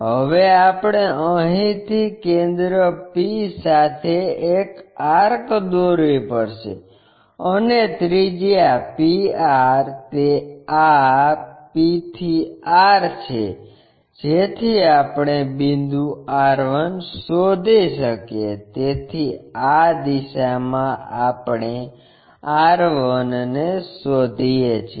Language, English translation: Gujarati, Now, we have to draw an arc with center p from here, and radius pr that is this p to r, so that we can locate a point r 1; so in this direction we locate r 1